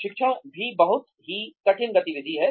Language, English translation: Hindi, Training is also a very difficult activity